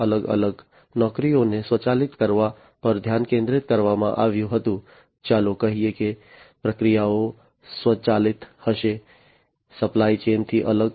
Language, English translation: Gujarati, But, there the focus was on automating separate, separate jobs, you know separate let us say the processes will be automated separate from the supply chain